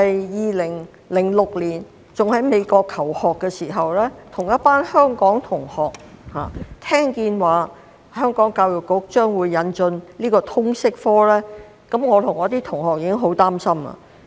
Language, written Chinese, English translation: Cantonese, 2006年，當我仍在美國求學的時候，聽到當時的教育統籌局要引進通識科，我跟一群香港同學已經感到十分擔心。, When I was still studying in the United States US in 2006 my Hong Kong schoolmates and I were deeply worried to know that the then Education and Manpower Bureau would introduce the LS subject